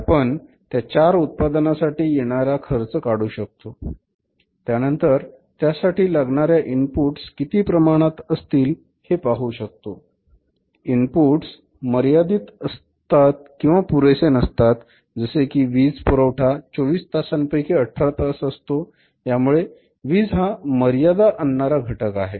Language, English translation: Marathi, So, we can calculate the cost of the 4 products, then we can see that how much input is required by these 4 products and if for example input is limited we don't have the sufficient input for example you talk about the power you don't have the sufficient power power is coming 18 hours a day not 24 hours a day power is a limiting factor